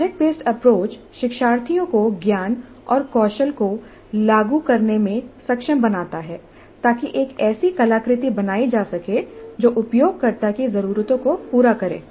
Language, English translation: Hindi, The project based approach is enabling learners to apply knowledge and skills to create an artifact that satisfies users needs